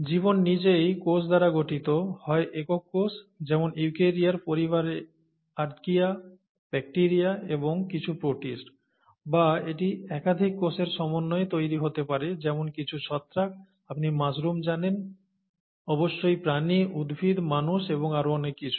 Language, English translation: Bengali, Then life itself is made up of cells, either single cells, as the case of archaea, bacteria and some protists, in the eukarya family, or it could be made up of multiple cells, such as some fungi, you know mushrooms and so on so forth, the fungi, animals of course, plants, humans, and so on, okay